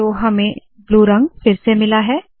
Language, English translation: Hindi, Now we are back in blue